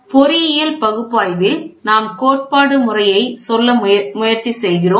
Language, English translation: Tamil, What we are trying to say is in engineering analysis we do theory